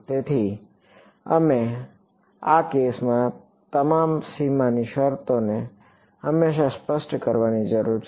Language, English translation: Gujarati, So, we that the all the boundary conditions always need to be specified in this case right